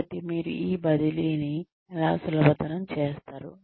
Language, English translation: Telugu, So, how do you make this transfer easy